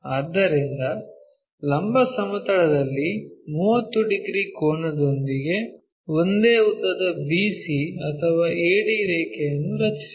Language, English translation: Kannada, So, draw the same length BC or AD line with an angle 30 degrees in the vertical plane